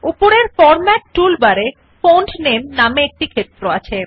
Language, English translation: Bengali, Now in the format tool bar at the top, we have a field, named Font Name